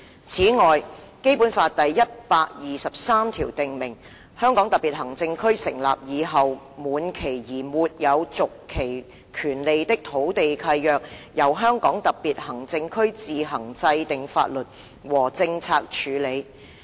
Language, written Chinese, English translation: Cantonese, "此外，《基本法》第一百二十三條訂明，"香港特別行政區成立以後滿期而沒有續期權利的土地契約，由香港特別行政區自行制定法律和政策處理。, Moreover Article 123 of BL stipulates that [w]here leases of land without a right of renewal expire after the establishment of the Hong Kong Special Administrative Region they shall be dealt with in accordance with laws and policies formulated by the Region on its own